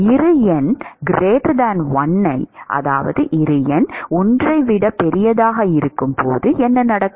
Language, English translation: Tamil, What happens when Bi number is much larger than 1